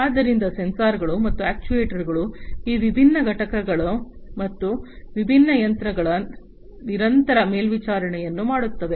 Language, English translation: Kannada, So, sensors and actuators will do the continuous monitoring of these different units and the different phases